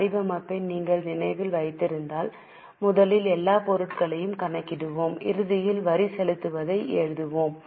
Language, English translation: Tamil, If you remember the format, we will calculate first all items and at the end we write the payment of taxes